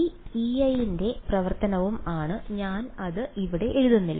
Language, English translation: Malayalam, These guys E i is also function of r I am just not writing it over here